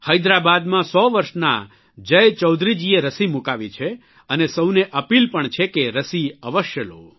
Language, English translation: Gujarati, 100 year old Jai Chaudhary from Hyderabad has taken the vaccine and it's an appeal to all to take the vaccine